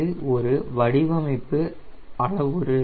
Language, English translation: Tamil, it is a design parameter